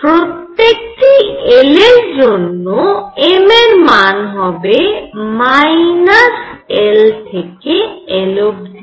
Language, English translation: Bengali, And for each l for each l, I will have m values which are from minus l to l right